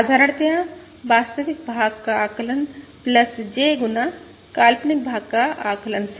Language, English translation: Hindi, Simply, the estimate of the real part plus J times the estimate of the imaginary part